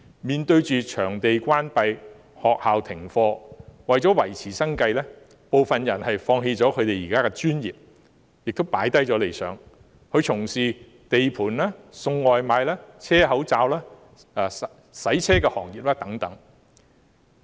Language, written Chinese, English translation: Cantonese, 面對場地關閉和學校停課，為了維持生計，當中部分人現時甚至要放棄自己的專業，放下理想，轉為從事地盤、送外賣、車口罩或洗車業等。, In the wake of closure of venues and school suspension now some of them to maintain their livelihood even have to give up their own profession abandon their dreams and switch to such jobs as working at construction sites delivering food sewing face masks and washing cars